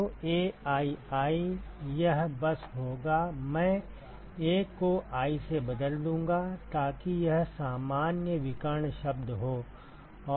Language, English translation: Hindi, So, aii this will simply be I replace 1 with i so that is the general diagonal term